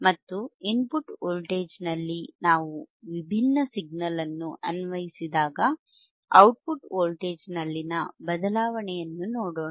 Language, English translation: Kannada, And let us see the change in the output voltage when we apply different signal at the input voltage all right